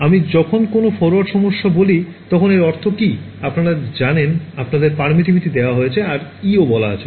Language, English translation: Bengali, When I say a forward problem what do I mean that, you know your given the permittivity let us say your also given the E incident